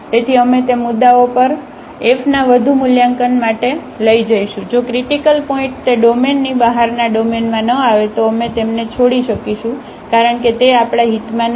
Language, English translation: Gujarati, So, we will take them for further evaluation of f at those points, if the critical points does not fall in the domain they are outside the domain then we can leave them because that is not of our interest